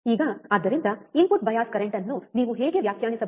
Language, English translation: Kannada, Now, thus, how you can define input bias current